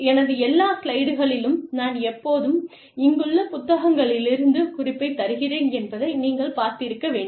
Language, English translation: Tamil, You must have seen, that in all of my slides, i have a little, you know, i always give the reference of the sources, here